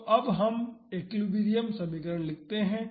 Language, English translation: Hindi, So, now, let us write the equilibrium equation